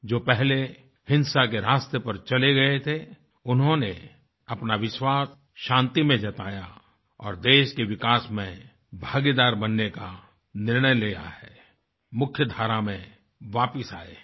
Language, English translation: Hindi, Those who had strayed twards the path of violence, have expressed their faith in peace and decided to become a partner in the country's progress and return to the mainstream